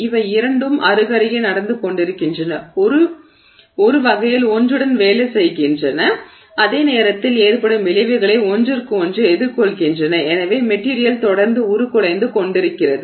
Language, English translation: Tamil, So these two are happening side by side and sort of working with each other at the same time countering the effects of each other and so the material continues to deform